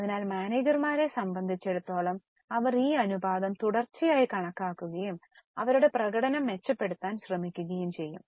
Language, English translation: Malayalam, So, for managers, they would continuously calculate this ratio and try to improve their performance